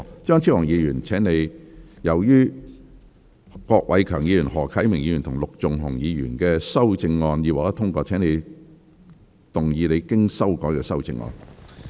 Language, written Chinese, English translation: Cantonese, 張超雄議員，由於郭偉强議員、何啟明議員及陸頌雄議員的修正案已獲得通過，請動議你經修改的修正案。, Dr Fernando CHEUNG as the amendments of Mr KWOK Wai - keung Mr HO Kai - ming and Mr LUK Chung - hung have been passed you may move your revised amendment